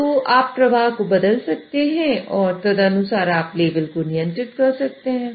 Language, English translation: Hindi, So you can change the flow and accordingly you can control the level